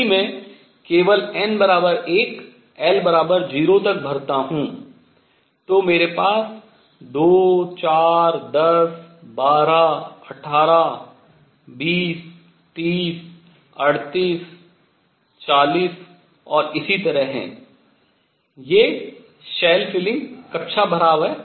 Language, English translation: Hindi, If I fill only up to n equals 1 l equals 0, I have 2, 4, 10, 12, 18, 20, 30, 38, 40 and so on, these are the shell fillings